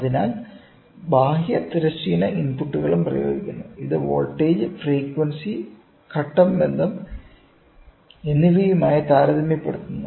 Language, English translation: Malayalam, So, the external horizontal inputs are also applied which compares with the voltage, frequency and phase relationship, we can try to get the output